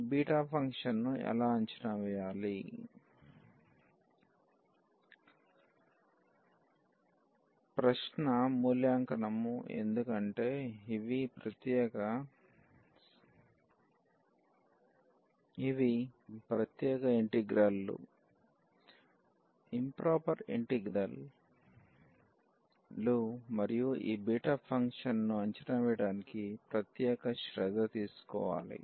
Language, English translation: Telugu, And so, how to evaluate this beta function; the question is the evaluation because these are the special integrals, improper integrals and special care has to be taken to evaluate this beta function